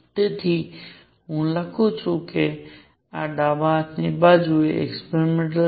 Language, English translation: Gujarati, So, let me write this left hand side is experimental